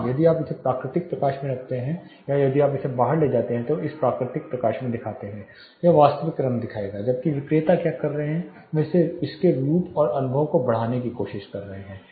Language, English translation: Hindi, Yes, if you put it in natural light if you bring it out show it in the natural light it will show the actual color where as what the seller is do they try to enhance the look and feel of it